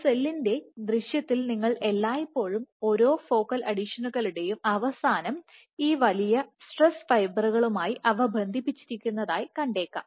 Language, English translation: Malayalam, So, when you see an image of a cell what you will always find is there are, at the end of each of the focal adhesions they are connected by these big stress fibers